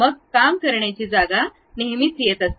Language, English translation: Marathi, Then the working space always be coming